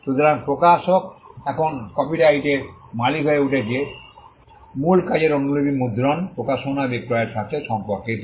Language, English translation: Bengali, So, the publisher becomes the copyright owner now the right pertains to printing, publishing, selling of copies of the original work